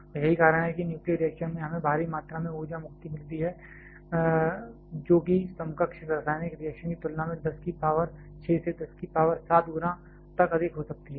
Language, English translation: Hindi, And that is why in a nuclear reaction we get huge amount of energy release which can be of the order 10 to the power 6 to 10 to power 7 times greater compared to a equivalent chemical reaction